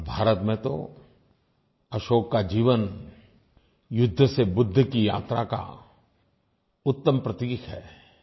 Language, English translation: Hindi, And in India, Ashok's life perfectly epitomizes the transformation from war to enlightenment